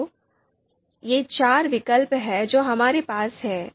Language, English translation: Hindi, So here you know these are the four alternatives that we have